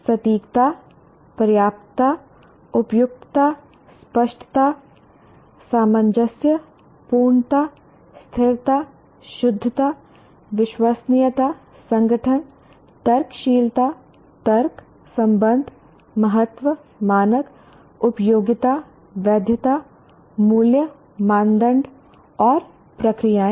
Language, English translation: Hindi, Judge accuracy, adequacy, appropriateness, clarity, cohesiveness, completeness, consistency, correctness, credibility, organization, reasonableness, reasoning, relationships, reliability, significance, standards, usefulness, validity, values, worth, criteria, standards, and procedures